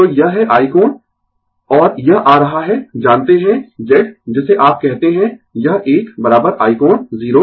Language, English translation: Hindi, So, this is i angle and it is coming know Z what you call this one is equal to i angle 0 degree